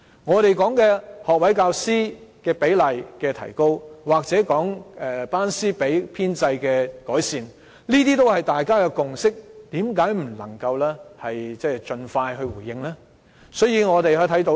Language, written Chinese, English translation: Cantonese, 我們曾提出提高學位教師的比例，又或改善班師比的編制，這些也是大家有共識的，為何政府不能盡快回應我們的訴求呢？, We have proposed that the ratio of graduate teachers should be increased and that the class - to - teacher ratio in the establishment should be improved . These are issues that we already have a consensus . Why is the Government unable to expeditiously respond to our aspirations?